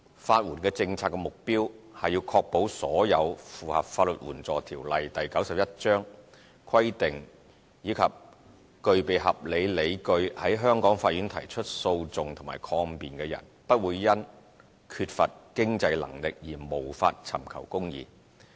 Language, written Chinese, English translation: Cantonese, 法援政策的目標是確保所有符合《法律援助條例》規定及具備合理理據在香港法院提出訴訟或抗辯的人，不會因缺乏經濟能力而無法尋求公義。, The policy objective of legal aid is to ensure all those who meet the criteria set out in the Legal Aid Ordinance Cap . 91 and have reasonable grounds for pursuing or defending a legal action in the courts of Hong Kong will not be denied access to justice due to a lack of means